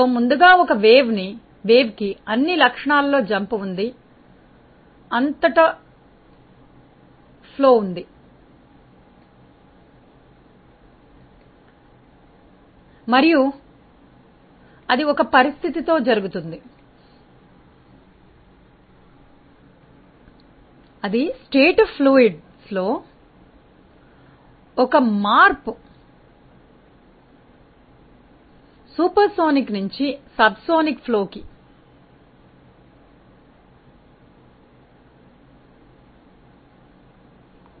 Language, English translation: Telugu, So, there is like a wave front across which there is a jump in all the properties of flow and that takes place with a condition, that across that there is a change in state from a supersonic to a subsonic flow